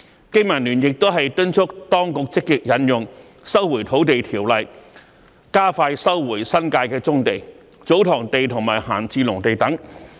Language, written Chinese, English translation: Cantonese, 經民聯亦敦促當局積極引用《收回土地條例》，加快收回新界的棕地、祖堂地及閒置農地等。, BPA also urges the authorities to through proactively invoking the Lands Resumption Ordinance expedite the resumption of brownfield sites TsoTong lands and idle agricultural land etc . in the New Territories